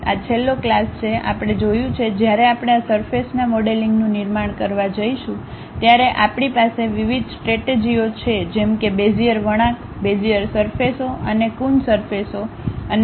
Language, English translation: Gujarati, This in the last classes, we have seen, when we are going to construct this surface modeling we have different strategies like Bezier curves, Bezier surfaces, and coon surfaces and so on